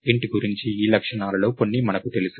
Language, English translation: Telugu, So, we know some of these properties about int